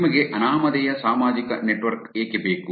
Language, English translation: Kannada, Why do you need anonymous social network